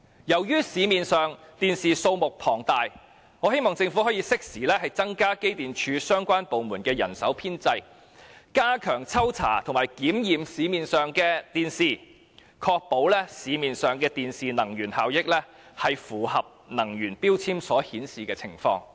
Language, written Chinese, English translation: Cantonese, 由於市面上電視機的數目龐大，我希望政府可以適時增加機電署和相關部門的人手編制，加強抽查和檢驗市面上的電視機，確保市面上電視機的能源效益符合能源標籤所顯示的情況。, Since there are a large number of TVs in the market I hope the Government can timely increase the staffing establishment of EMSD and the departments concerned step up random checks and inspections of TVs in the market to ensure that their energy efficiency conforms to the grading as shown on the energy labels